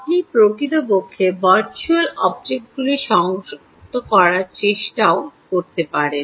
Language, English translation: Bengali, you could actually be even trying to connect virtual objects, right